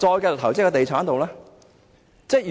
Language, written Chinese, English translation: Cantonese, 繼續投資在地產之上？, Will they continue to invest in real estate?